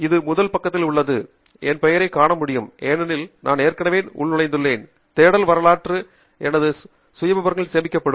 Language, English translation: Tamil, I have already logged in, as you can see from my name here, and the search history then will be stored in my profile